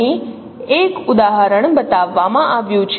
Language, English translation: Gujarati, An example is shown here